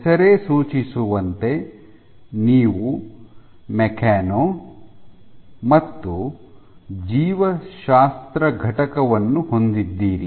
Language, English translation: Kannada, As the name suggests you have a mechano and a biology component